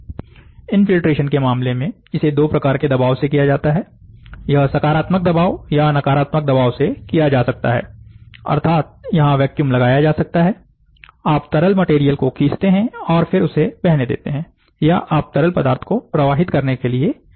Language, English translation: Hindi, In the case of infiltration, with this can be done by two pressure, it can be done by positive pressure or it can be done by negative pressure, that is vacuum can be applied, you suck and then allow the material to flow, or you pressurize the liquid material to flow